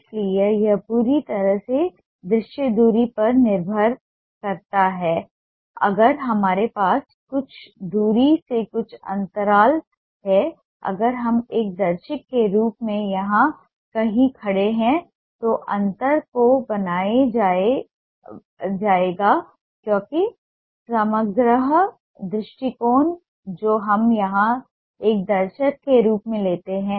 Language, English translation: Hindi, if we have certain gaps from a far away distance, if we are standing somewhere here as a viewer, the gap will be made up because of the holistic approach that we take here as a viewer